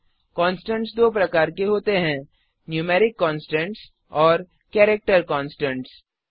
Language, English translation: Hindi, There are two types of constants , Numeric constants and Character constants